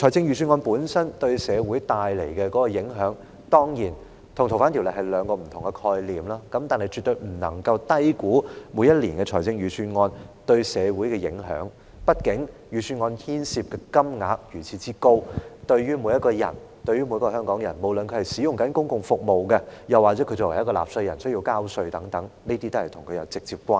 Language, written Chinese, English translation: Cantonese, 預算案本身對社會帶來的影響，當然與修訂《逃犯條例》的影響是屬於兩種不同的性質，但我們絕不能夠低估每年的預算案對社會的影響，畢竟預算案牽涉的金額如此高，對於所有香港人，不論是正領取公共福利的香港人，又或需繳納稅款的香港人，預算案都與他們有直接關係。, The impact of the Budget itself on society is certainly of a different nature from that of the amendment of FOO but we should definitely not underestimate the social impact of the annual Budget . After all as the Budget involves such a huge amount of money all the people of Hong Kong have a direct stake in it irrespective of whether they are currently on public benefits or liable to tax